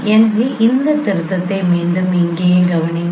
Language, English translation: Tamil, So please note this correction once again here also